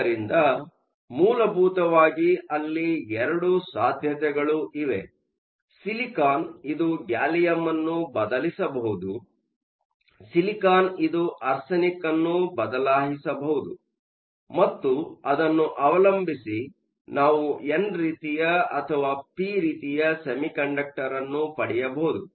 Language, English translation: Kannada, So, the essentially two possibilities; the silicon can replace the gallium, the silicon can replace the arsenic, and depending on that we can either get an n type or a p type